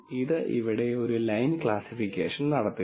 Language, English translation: Malayalam, It is actually doing a linear classification here